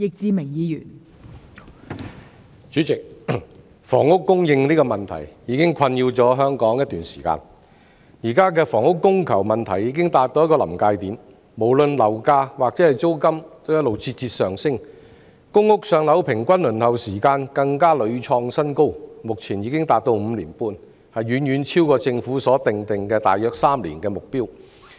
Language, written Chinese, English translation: Cantonese, 代理主席，房屋供應的問題已經困擾香港一段時間，現時房屋供求問題已達到臨界點，無論樓價或租金也節節上升，公屋"上樓"平均輪候時間更屢創新高，目前已經達到5年半，遠遠超過政府所訂定的大約3年的目標。, Deputy President the problems of housing supply has plagued Hong Kong for a while the housing supply problems has reached a critical point at the present moment . No matter it is property prices or rents they keep surging high the average waiting time for allocation of public housing has set new record reaching 5.5 years currently which has far exceeded the target of around 3 years as set by the Government